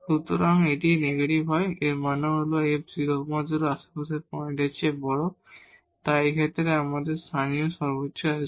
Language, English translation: Bengali, So, if it is negative, if it is negative; that means, this f 0 0 is larger than the points in the neighborhood, so we have the local maximum at the in this case